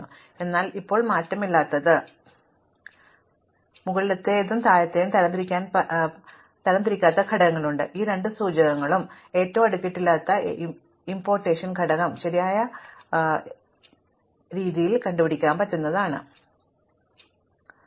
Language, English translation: Malayalam, So, this is the invariant now, we have the lower thing on the left part and upper thing on the right part and in between we have the unsorted elements, but we have these two indicators, the left most unsorted… the left most unpartitioned element, the right most unpartitioned element